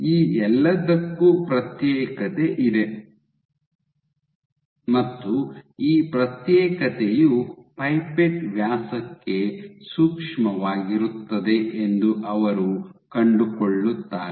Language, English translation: Kannada, For all this they find that there is segregation and this segregation is sensitive to pipette diameter